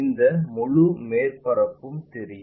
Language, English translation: Tamil, This entire surface will be visible